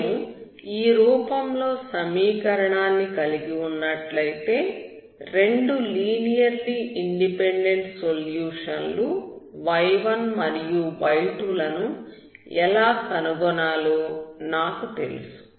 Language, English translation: Telugu, If I have in this form, I know how to find the solutions that is two linearly independent solutions y1 and y2